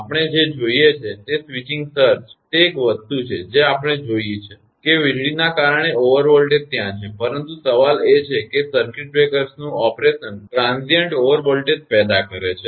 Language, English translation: Gujarati, Whatever we see that switching surge that is one thing we saw; that due to lightning that over voltage is there, but question is that operation of circuit breakers produces transient over voltage